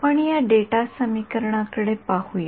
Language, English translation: Marathi, Let us look at this data equation